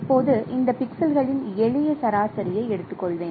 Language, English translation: Tamil, So, what I can do I can take simple average of these pixels